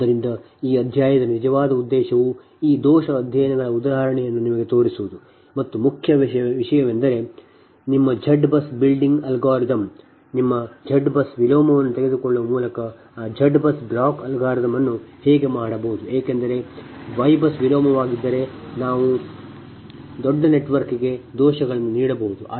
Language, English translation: Kannada, so up to this, actually, intention of this chapter is to show you couple of example of this fault studies and main thing is that your z bus building algorithm, that how one can make that z bus building algorithm, rather than taking your y bus inverse, because y bus inverse, if it is for a large network, right computationally, may not be that this thing you have to go for a different algorithm